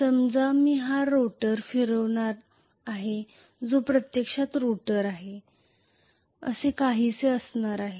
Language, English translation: Marathi, Let us say I am going to rotate this rotor which is actually the rotor is going to be somewhat like this let me draw the whole thing here